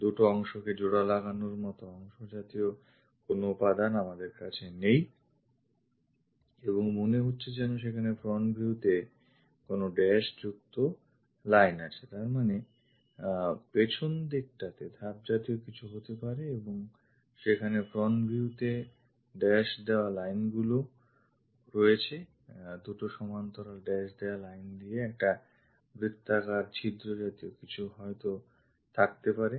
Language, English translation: Bengali, No material is more like fork twojoining kind of portions we have and looks like there is a hidden dashed line that mean back side there might be somestep kind of thing is happening and there are dashed lines in the front view, two parallel dashed lines perhaps it might be a circular hole kind of thing